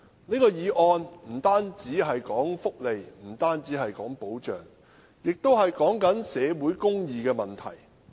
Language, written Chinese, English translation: Cantonese, 這項議案不單關乎福利和保障，亦關乎社會公義的問題。, This motion concerns not only welfare and protection but also social justice